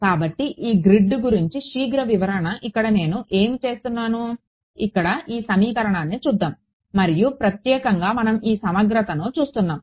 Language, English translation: Telugu, So, quick clarification about this grid over here what I my do so, let us look at this equation over here and in particular we are looking at this integral